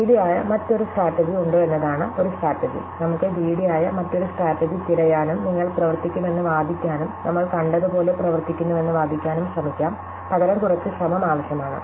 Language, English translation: Malayalam, so one strategy is to see is there another greedy strategy, we can search for another greedy strategy and try to argue that it works and argue that it works as we saw is rather it takes a little bit of effort